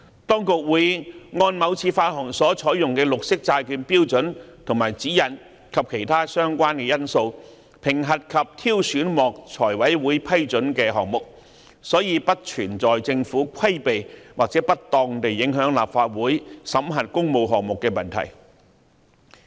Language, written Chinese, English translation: Cantonese, 當局會按某次發行所採用的綠色債券標準和指引及其他相關因素，評核及挑選獲財務委員會批准的項目，所以不存在政府規避或不當地影響立法會審核工務項目的問題。, As projects approved by the Finance Committee would be assessed and selected according to the green bond standards and guidelines adopted for a particular issuance as well as other relevant factors there is no question of the Government circumventing or unduly affecting the scrutiny of public works projects by the Legislative Council